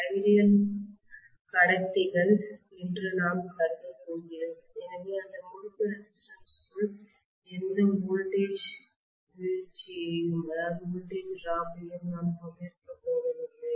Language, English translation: Tamil, So we are going to assume that the conductors are ideal, so I am not going to have any voltage drop inside those winding resistances